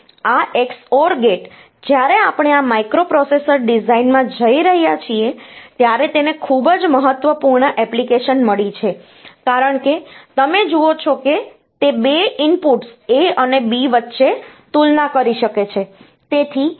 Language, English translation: Gujarati, This XOR gate, it has got a very important application when we are going into this microprocessor designs like because you see it can compare between 2 inputs A and B